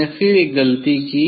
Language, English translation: Hindi, I again I did one mistake